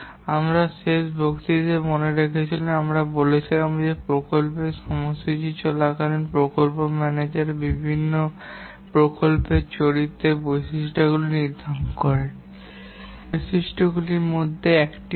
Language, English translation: Bengali, If you remember in the last lecture we are saying that the project manager during the project scheduling would like to determine various project characters, characteristics, and then manage the project based on these characteristics